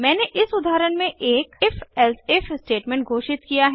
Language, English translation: Hindi, I have declared an if elsif statement in this example